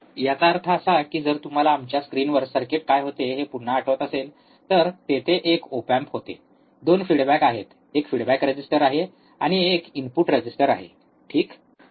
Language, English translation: Marathi, That means that if you if you again remember what was the circuit on our screen, it was that there is a op amp, there is 2 feedback, there is one feedback resistor, and one input resistor ok